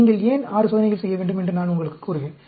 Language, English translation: Tamil, We will… I will tell you why you need to do 6 experiments